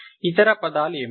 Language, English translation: Telugu, What are the other terms